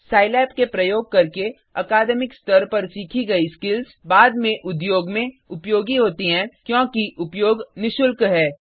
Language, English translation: Hindi, Skills learnt using Scilab at academic level are useful later in the industry as usage is free of cost